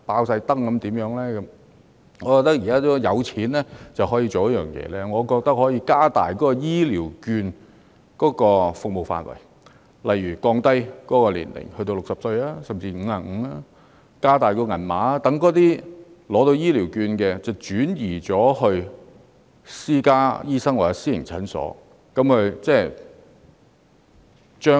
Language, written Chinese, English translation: Cantonese, 政府現在有錢，可以做一件事，就是加大醫療券的服務範圍，例如降低適用年齡至60歲甚至55歲，增加醫療券金額，讓醫療券持有人轉到私家醫院或診所。, As the Government has money it can do one thing namely expanding the service scope of Elderly Health Care Vouchers EHVs such as lowering the eligible age to 60 or even 55 or increasing the amount of EHV so that holders of EHVs may seek treatment at private hospitals or clinics